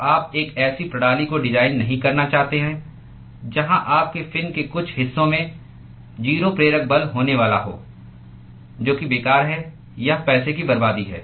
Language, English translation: Hindi, So, you do not want to design a system where some parts of your fin is going to have a 0 driving force that is useless it is a waste of money